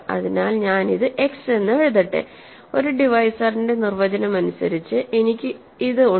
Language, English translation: Malayalam, So, let me just write this as x, by definition of a divisor I have this